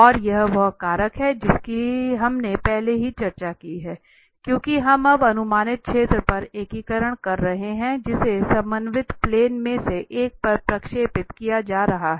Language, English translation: Hindi, And this is the factor which we have already discussed, because now we are integrating over the projected area which is being projected on one of the coordinate planes